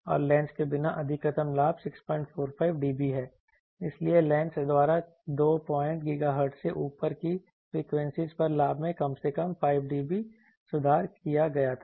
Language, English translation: Hindi, 45 dB so at least 5 dB improvement in the gain at frequencies above on two point GHz was given by the lens